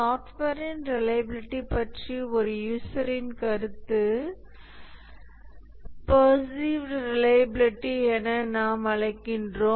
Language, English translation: Tamil, The opinion of a user about the reliability of a software we call as the perceived reliability